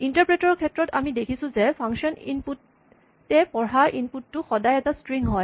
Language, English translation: Assamese, As we saw, when we were playing with the interpreter, the input that is read by the function input is always a string